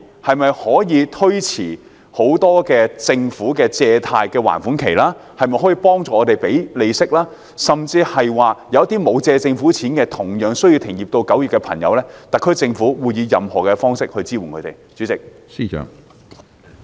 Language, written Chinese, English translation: Cantonese, 例如政府可否推遲借貸的還款期或幫助支付利息，而對於那些沒有向政府借貸但同樣需要停業至9月的漁民，特區政府又會以甚麼方式支援他們？, For example will the Government extend the repayment period of loans or help in the payment of interests? . For fishermen who have not borrowed government loans but likewise have to cease fishing operation until mid - September in what ways will the SAR Government support them?